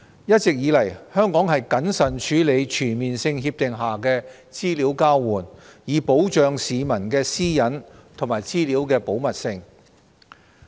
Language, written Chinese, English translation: Cantonese, 一直以來，香港謹慎處理全面性協定下的資料交換，以保障市民的私隱和資料的保密性。, All along Hong Kong has been prudently handling the exchange of information under CDTAs in order to protect peoples privacy and the confidentiality of information